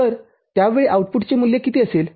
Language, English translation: Marathi, So, at that time what will be the value of the output